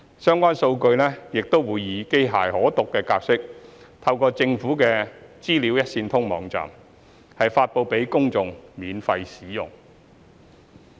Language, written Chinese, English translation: Cantonese, 相關數據亦會以機器可讀格式透過政府的"資料一線通"網站 <data.gov.hk> 發布給公眾免費使用。, The relevant data will be made available in a machine readable format via the Public Sector Information Portal PSI datagovhk of the Government for free use by the public